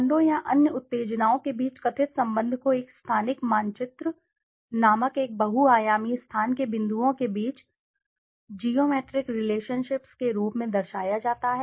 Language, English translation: Hindi, The perceived relationship among brands or other stimuli are represented as geometric relationships among points in a multidimensional space called a spatial map